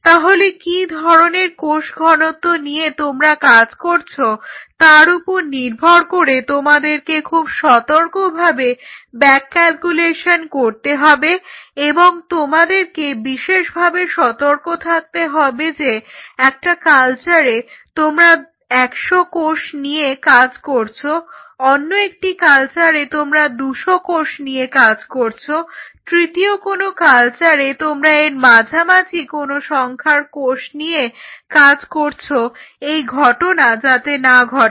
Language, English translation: Bengali, So, depending on what will be your density you have to do the back calculation here very carefully and you have to be very meticulously careful you cannot afford to have in 1 culture, I did 100 cells the other culture I did at 200 cells and a third culture I was somewhere in between every time the data what will be deriving from it will go hey where